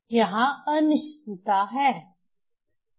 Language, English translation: Hindi, So, uncertainty is there